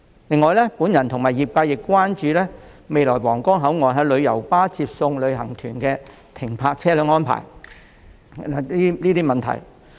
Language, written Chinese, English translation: Cantonese, 此外，我和業界人士亦關注到新皇崗口岸日後讓旅遊巴出入接送旅行團的停車安排的問題。, In addition I share the concern of trade members about the parking arrangements at the redeveloped Huanggang Port for picking up and dropping off tour group members by coaches in the future